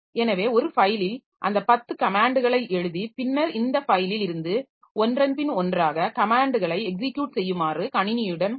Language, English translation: Tamil, So, in a file we write down those 10 comments and then tell the system that you execute commands from this file one by one